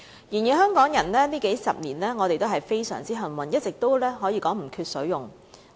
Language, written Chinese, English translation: Cantonese, 然而，香港人這數十年來非常幸運，可說是一直都不缺水用。, However the people of Hong Kong are very lucky over these decades . It can be said that there has been no shortage in water supply all along